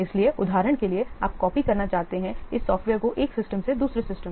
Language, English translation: Hindi, So, for example, you want to copy what some of these was software from one system to another systems etc